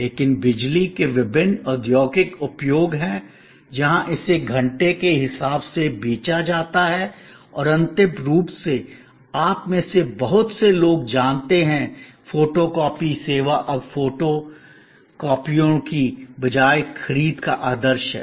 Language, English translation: Hindi, But, there are various industrial usage of power where it is sold by power by hour and lastly, very well known to most of you is that, photo copying service is now norm of procurement instead of photocopiers